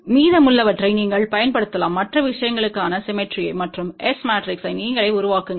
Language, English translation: Tamil, And you can apply the rest of the symmetry for other thing and build the S matrix yourself ok